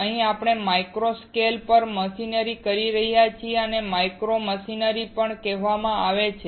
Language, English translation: Gujarati, Here, we are machining at micro scale so it is also called micro machining